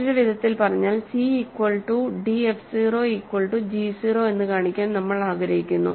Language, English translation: Malayalam, In other words, we want to show c is equal to d f 0 is equal to g 0